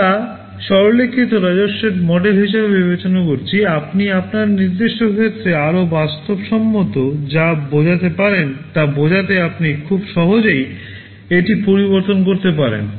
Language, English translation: Bengali, We considered a simplified revenue model, you can modify it very easily to mean whatever is more realistic in your specific case